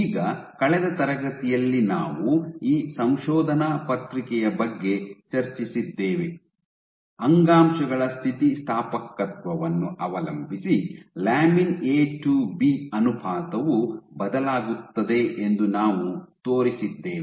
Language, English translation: Kannada, Now also discuss this paper we last class there we showed that lamin A to B ratio varies, depending on tissue elasticity ok